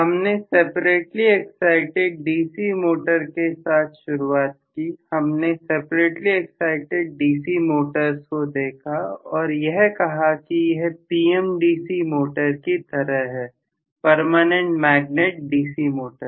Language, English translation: Hindi, We started off with separately excited DC Motors; so we looked at actually separately excited DC motors which we said is similar to a PMDC motor that is a Permanent Magnet DC Motor